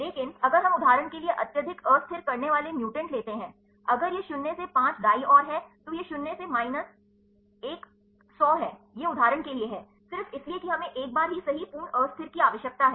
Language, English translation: Hindi, But if we take the highly destabilizing mutants for example, if it is a up to minus 5 right, this is minus 1 100 this is for example, just because we need the complete destabilize once right